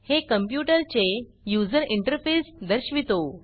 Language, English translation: Marathi, It displays the computers user interface